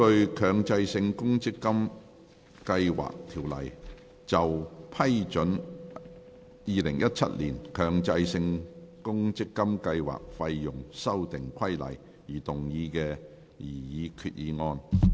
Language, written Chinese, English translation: Cantonese, 根據《強制性公積金計劃條例》就批准《2017年強制性公積金計劃規例》而動議的擬議決議案。, Proposed resolution under the Mandatory Provident Fund Schemes Ordinance to approve the Mandatory Provident Fund Schemes Fees Amendment Regulation 2017